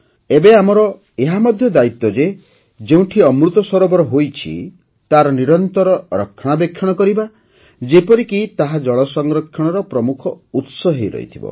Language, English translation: Odia, Now it is also our responsibility to ensure that wherever 'AmritSarovar' have been built, they should be regularly looked after so that they remain the main source of water conservation